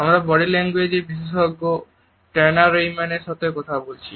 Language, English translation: Bengali, We spoke to the body language expert Tonya Reiman